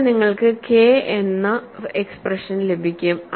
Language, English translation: Malayalam, Then, you will get the expression for K